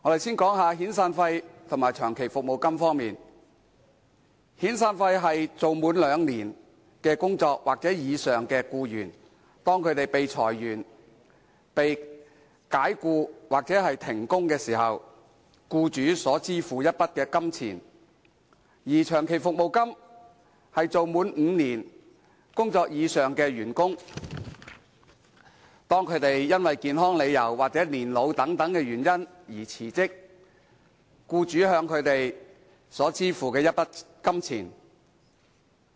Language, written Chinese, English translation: Cantonese, 先說遣散費及長期服務金，遣散費是當工作滿兩年或以上的僱員被裁員、解僱或停工時，僱主所支付的一筆金錢；而長期服務金則是當工作滿5年或以上的員工，因健康理由或年老等原因而辭職時，僱主向他們支付的一筆金錢。, First of all regarding severance and long service payments while the former is the amount of money payable by an employer when an employee having two years service or more is dismissed made redundant or suspended from work the latter is the sum of money payable by an employer when an employee having five years service or more resigned on ground of ill health or old age